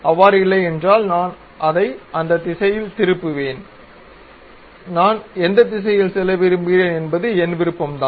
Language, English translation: Tamil, If that is not the case I will reverse it in that direction it is up to me which direction I would like to go